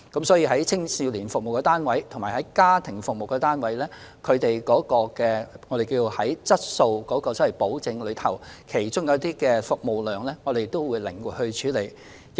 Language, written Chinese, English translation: Cantonese, 所以，就青少年服務單位及家庭服務單位，我們會按質素保證的需要靈活處理服務量的問題。, Hence with regard to youth service and family service units we will handle the issue of service outputs with flexibility according to needs for quality assurance